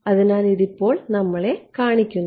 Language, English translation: Malayalam, So, this is allowing us to see that now